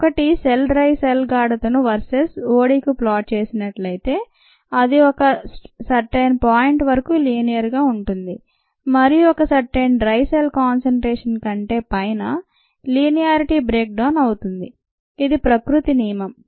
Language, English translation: Telugu, if you plot cell dry cell concentration versus o d, it is going to be linear till a certain point and above a certain dry cell concentration the linearity is going to break down